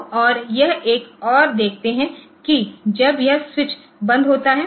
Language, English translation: Hindi, So, and this one you see that when this, the switch is closed